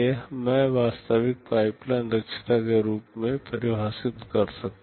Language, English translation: Hindi, This I can define as the actual pipeline efficiency